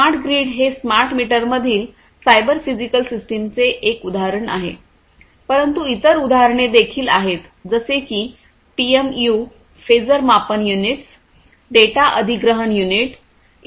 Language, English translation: Marathi, So, cyber physical systems in smart grid smart meters is one, but then there are other examples also like PMUs Phasor Measurement Units, Data Acquisition Unit, and so on